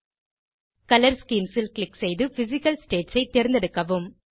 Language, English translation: Tamil, Click on Color Schemes and select Physical states